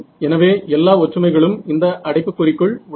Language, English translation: Tamil, I have two terms right in this bracket